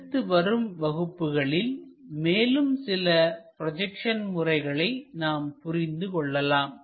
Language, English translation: Tamil, In the next class we will learn more about these projection techniques